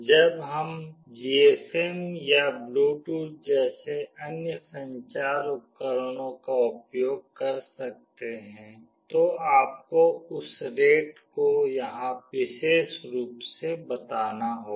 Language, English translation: Hindi, When we can use other communicating devices like the GSM or Bluetooth, you need to specify that rate here